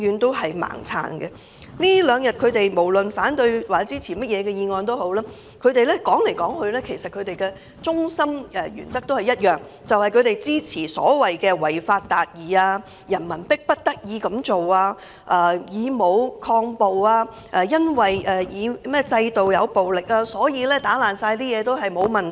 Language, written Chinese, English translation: Cantonese, 在這兩天，無論他們表示支持或反對，翻來覆去，要表達的原則都是他們支持所謂的違法達義，認為人民迫不得已才會以武抗暴，全因為制度有暴力，所以毀壞任何東西也沒有問題。, During these two days the so - called principle which they repeatedly emphasized when expressing their support or opposition to the motions is their upholding of achieving justice by violating the law . In their view people have no other alternatives but to fight brutality with violence and due to violence in the system their vandalism of anything poses no problem at all